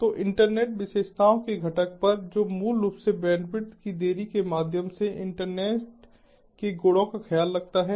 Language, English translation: Hindi, internet characteristics component, which basically takes care of properties of the internet with respect to delay, bandwidth, throughput, etcetera